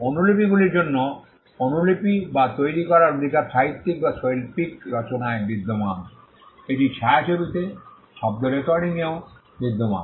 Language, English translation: Bengali, The right to copy or make for the copies exists in literary or artistic works, it exists in films, in sound recordings as well